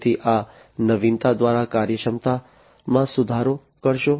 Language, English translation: Gujarati, So, improve upon the efficiency through this innovation